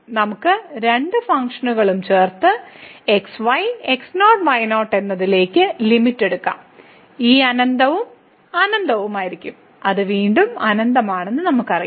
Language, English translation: Malayalam, We can also add the two functions and take the limit as goes to and this will be infinity plus infinity which we know it is the infinity again